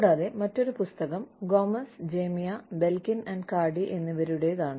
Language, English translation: Malayalam, And, the other by Gomez Mejia, Belkin, and Cardy